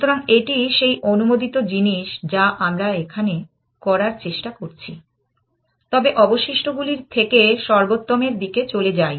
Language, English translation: Bengali, So, this is that allowed thing that we are trying to do here, but from the remaining move to the best one